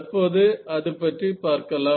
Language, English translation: Tamil, So, let us look at these